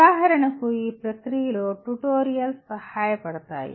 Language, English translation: Telugu, For example, tutorials do help in this process